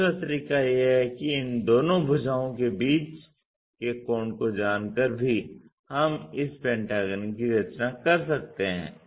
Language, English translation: Hindi, The other way is by knowing the angle between these two sides also we can construct this pentagon